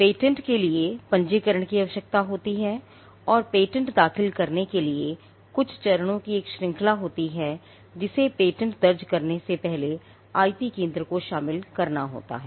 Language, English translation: Hindi, Patents require registration and for filing patents there is a series of steps that the IP centre has to involve in before a patent can be filed